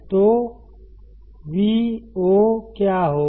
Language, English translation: Hindi, So, what will Vo be